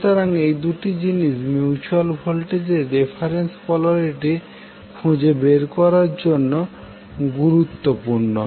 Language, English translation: Bengali, So this two things are important to find out the reference polarity of the mutual voltage